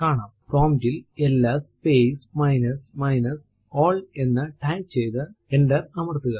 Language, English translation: Malayalam, Just type the command ls space minus small l and press enter